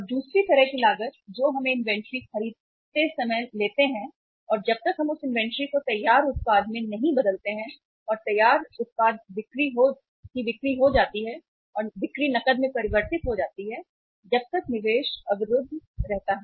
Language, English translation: Hindi, And other kind of the cost which we incur while we purchase the inventory and until unless we convert that inventory into finished product and finished product becomes sales and sales convert into cash that investment remains blocked